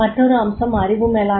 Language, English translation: Tamil, Another aspect is the knowledge management